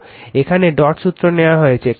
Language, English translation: Bengali, So, here dot convention is taken right